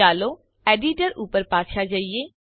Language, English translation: Gujarati, Let us go back to the Editor